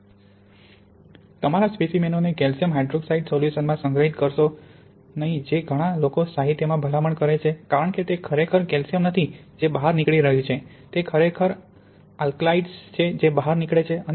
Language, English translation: Gujarati, Don’t store your samples in calcium hydroxide solution which is what many people recommend in literature because it is not really calcium that is leaching out, it is actually the alkalides that leach out